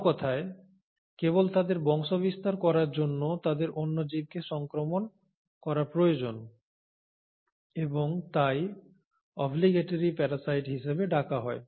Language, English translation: Bengali, So in other words just for them to propagate they need to infect another living organism and hence are called as the obligatory parasites